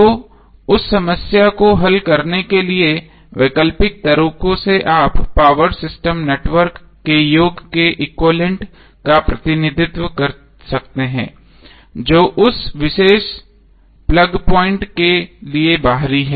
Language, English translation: Hindi, So to address that problem the alternate ways that you can represent the equivalent of the sum of the power system network which is external to that particular plug point